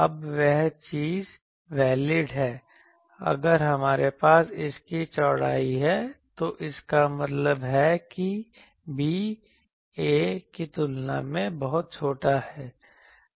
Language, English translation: Hindi, Now that thing is valid, if we have this width of this; that means, that b is very small compared to a